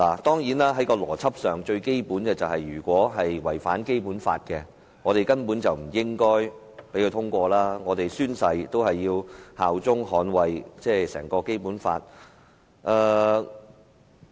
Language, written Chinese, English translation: Cantonese, 當然，在邏輯上，最基本的是，如果這項《條例草案》違反《基本法》，我們根本不應該讓它通過，我們宣誓效忠和捍衞整套《基本法》。, Certainly by the most basic logic if this Bill violates the Basic Law we should not allow it to pass at all . We have sworn allegiance to uphold the whole Basic Law